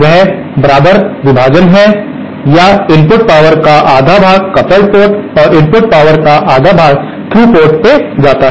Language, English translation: Hindi, That is equal division or half of the power goes input power goes to the coupled port and half of the input power goes to the through port